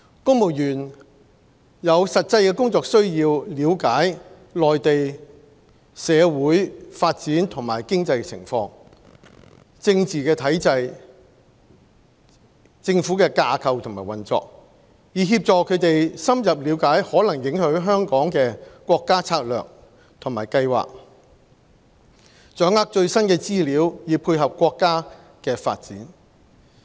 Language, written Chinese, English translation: Cantonese, 公務員有實際的工作需要了解內地社會發展和經濟情況、政治體制、政府架構及運作，以協助他們深入理解可能影響香港的國家策略和計劃，掌握最新的資料以配合國家的發展。, Civil servants have genuine operational needs to understand the social development economic condition political system government structure and operation of the Mainland for acquiring an in - depth knowledge of the national strategies and programmes which may have an impact on Hong Kong and grasping the latest information so as to dovetail with the Countrys development